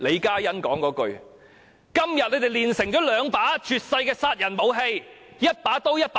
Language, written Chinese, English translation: Cantonese, 今天他們煉成了兩把絕世殺人武器，一把刀和一把劍。, Today they have forged two unique lethal weapons a sabre and a sword